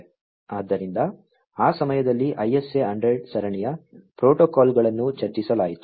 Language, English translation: Kannada, So, at that time the ISA 100 series of protocols was discussed